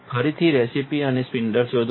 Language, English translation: Gujarati, Again find the recess and the spindle